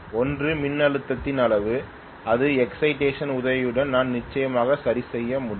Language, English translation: Tamil, One is the magnitude of the voltage which I can definitely adjust with the help of the excitation